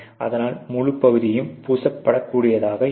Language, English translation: Tamil, So, that the whole area can be coated occurs more